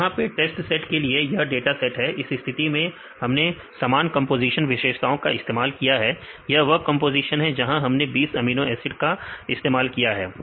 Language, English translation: Hindi, So, now here this is the data set for the test set; in this case we use the same composition the features these are the composition we use 20 amino acid residues